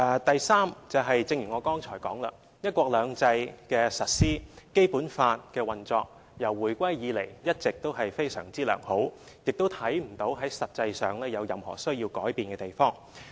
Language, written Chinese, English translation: Cantonese, 第三，正如我剛才所說，"一國兩制"的實施和《基本法》的運作自回歸以來一直也非常良好，亦看不到實際上有任何須改變的地方。, Third as I have just mentioned the implementation of one country two systems and the operation of the Basic Law have all along been very well since Hong Kongs return to the Motherland and we did not see any practical need for changes